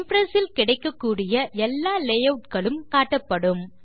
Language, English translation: Tamil, The layouts available in Impress are displayed